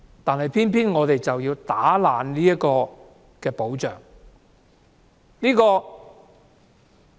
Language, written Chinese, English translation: Cantonese, 但是，政府卻偏要破壞這個保障。, Unfortunately the Government now wants to destroy such protection